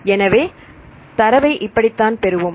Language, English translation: Tamil, So, this is how we get this data